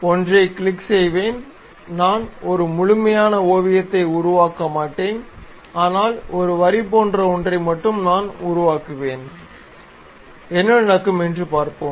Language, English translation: Tamil, So, what I will do is click one, I would not construct a complete sketch, but something like a lines only we will construct see what will happen